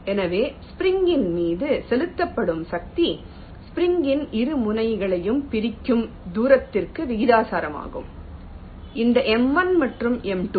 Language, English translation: Tamil, so the force exerted on the spring is proportional to the distance that separates the two ends of the spring, this m one and m two